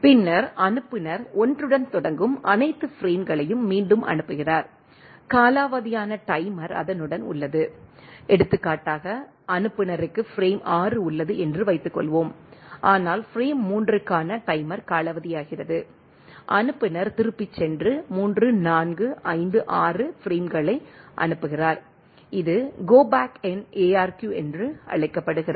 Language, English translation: Tamil, So, it is instead of it is expecting 1 instead of 1, it is receiving 2 3 etcetera, it discards all frames right then the sender resends all the frames beginning with the 1, which has expired timer for example, suppose the sender has frame 6, but the timer for the frame 3 expires then, the sender go back and sends the frame 3, 4, 5, 6, this is called Go Back N ARQ